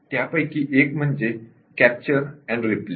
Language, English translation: Marathi, One of the tools is capture and replay